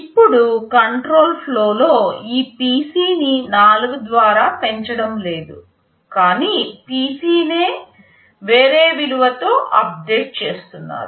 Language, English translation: Telugu, Now in control flow, this PC is not being incremented by 4, but rather you are updating PC with some other value